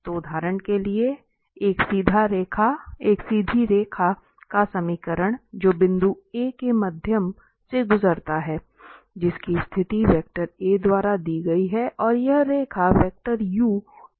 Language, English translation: Hindi, So, for instance the equation of a straight line which passes through point A, whose position vector is given by the vector a and the line is parallel to the vector u